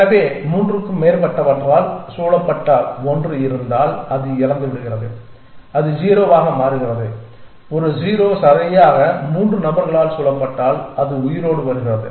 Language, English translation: Tamil, So, if there is a one surrounded by more than three ones then it dies it becomes 0 if a 0 is surrounded by exactly three ones then it comes alive